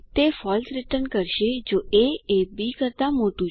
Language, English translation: Gujarati, It returns True if a is greater than b